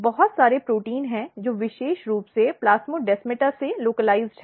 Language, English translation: Hindi, There are lot of proteins which has been identified as a specifically localized to the plasmodesmata